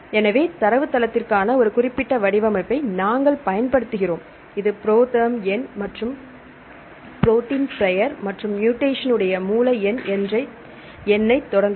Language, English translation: Tamil, So, so we use a specific format for the a database for example, start with the number this is our ProTherm number and the protein name and the source the mutation